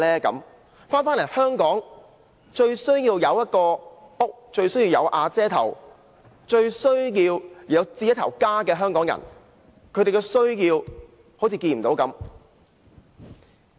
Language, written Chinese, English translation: Cantonese, 在香港，最需要有一個家，最需要"有瓦遮頭"，最需要置家的香港人，政府對他們的需要卻視若無睹。, In Hong Kong it is the Hong Kong people who are most in need of a family a roof over their heads and home ownership; but the Government has turned a blind eye to their needs